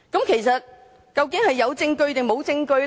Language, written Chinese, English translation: Cantonese, 其實，究竟是有證據還是沒有證據？, In fact is there evidence or is there not?